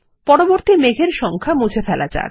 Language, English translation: Bengali, Next lets delete the numbers from the clouds